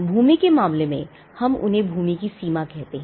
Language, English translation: Hindi, In the case of the land we call them the boundaries of the land